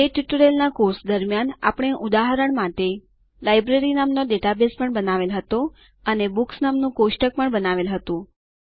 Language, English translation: Gujarati, During the course of the tutorial we also created an example database called Library and created a Books table as well